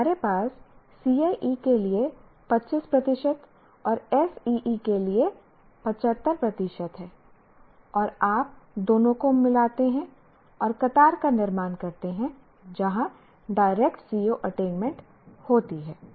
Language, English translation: Hindi, You have 25% weightage for CIE and 75 for SE and you combine the two and produce the table, produce the column where the direct CO attainment is present